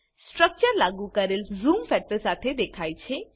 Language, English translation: Gujarati, The structure appears with the applied zoom factor